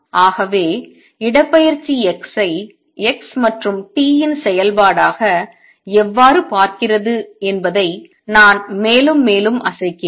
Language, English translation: Tamil, So I am shaking it up and down how does displacement look at x as a function of x and t